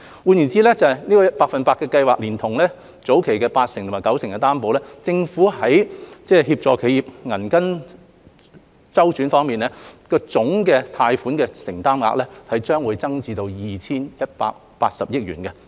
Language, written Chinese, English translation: Cantonese, 換言之，百分百特惠低息貸款連同計劃下八成及九成擔保，政府在協助企業銀根周轉方面的貸款總承擔額將增加至 2,180 億元。, In other words taking into account the special 100 % low - interest concessionary loan together with the 80 % and 90 % guarantees under SFGS the Governments total commitment for loan guarantees that help enterprises to cope with cash flow problems will be increased to 218 billion